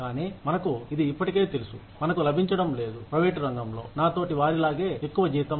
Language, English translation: Telugu, But, still, we already know that, we are not getting, as much salary, as our peers, in the private sector are getting